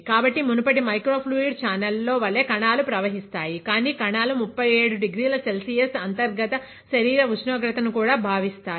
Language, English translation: Telugu, So, the cells will be flowing, like in the previous microfluidic channel; but the cells will also feel the 37 degree Celsius reaches the internal body temperature